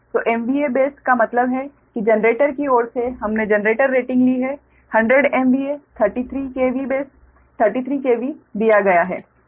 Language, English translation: Hindi, that means that means from generator side we have taken generator rating is given hundred m v a thirty three k v base, ah, thirty three k v